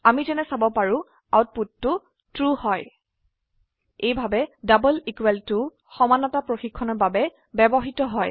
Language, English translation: Assamese, As we can see, the output is True This way, Double equal to is used for checking equality